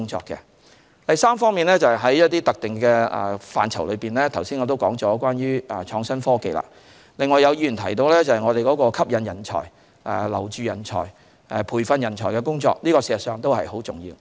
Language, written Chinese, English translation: Cantonese, 在一些特定的範疇內，正如我剛才所言的創新科技，有議員提到我們吸引人才、留住人才、培訓人才的工作很重要。, In certain specific areas like IT as I just highlighted some Members mentioned the importance of our work in attracting retaining and training talents